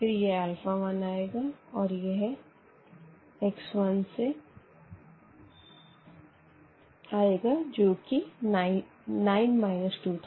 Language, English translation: Hindi, And, then this alpha 1 and then the rest from x 1, for example, we have 9 minus 2